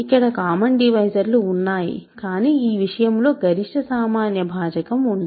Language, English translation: Telugu, There are common divisors, but there cannot be a greatest common divisor in this sense